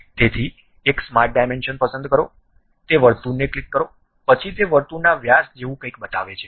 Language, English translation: Gujarati, So, pick smart dimension, click that circle, then it shows something like diameter of that circle